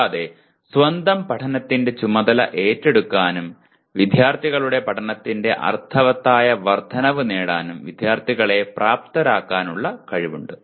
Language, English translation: Malayalam, And also it has the potential to empower students to take charge of their own learning and to increase the meaningfulness of students learning